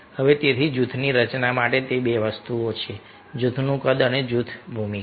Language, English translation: Gujarati, so for this structure of the group, they are two things: group size and group roles